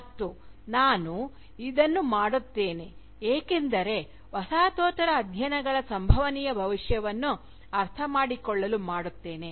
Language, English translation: Kannada, And, I will do this because, I think to understand the probable Futures of Postcolonial studies